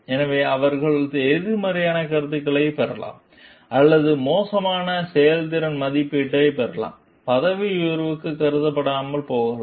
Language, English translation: Tamil, So, they may receive a negative feedback or poor performance appraisal, may not be considered for promotion